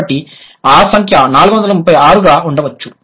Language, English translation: Telugu, So that is, that's the number would be 436